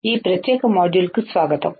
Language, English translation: Telugu, Welcome to this particular module